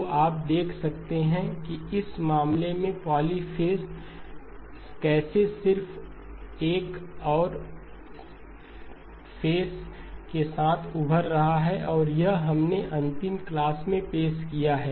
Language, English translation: Hindi, So you can see how the polyphase in this case just another term with just another phase is emerging and this is what we introduced in the last class